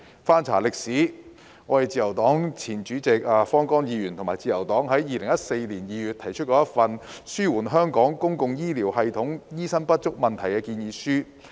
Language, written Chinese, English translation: Cantonese, 翻查歷史，自由黨前主席及前議員方剛和自由黨在2014年2月曾提出一份《紓緩香港公共醫療系統的醫生不足問題建議書》。, Looking back Mr Vincent FANG former Chairman of the Liberal Party LP cum former Member put forward a proposal on behalf of LP to alleviate the shortage of doctors in Hong Kongs public healthcare system in February 2014